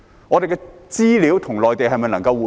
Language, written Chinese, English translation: Cantonese, 我們的資料與內地能否互通？, Can our data be shared with the Mainland and vice versa?